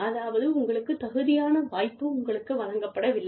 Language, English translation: Tamil, So, you are not given the opportunity, you deserve